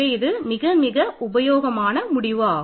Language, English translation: Tamil, This is a very useful a result for us